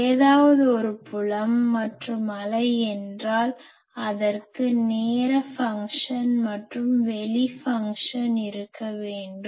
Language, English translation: Tamil, We know that if anything is a field it should have I mean a field and wave; it should have a time function as well as a space function